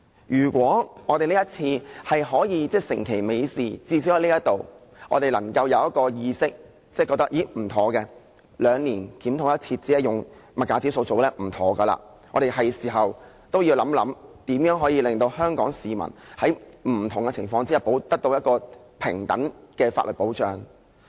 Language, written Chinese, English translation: Cantonese, 如果我們這次可以成其美事，至少在這裏，我們有這意識，認為兩年檢討一次，只是用消費物價指數來進行是不對的，是時候要想一想，如何令香港市民在不同情況下，得到平等的法律保障。, If we can achieve our objectives this time around and at least become aware in this Chamber that it is inappropriate to solely adopt CPI as the basis for the biennial review we will realize that it is time to think about how we can enable Hong Kong people to receive equal legal protection under various circumstances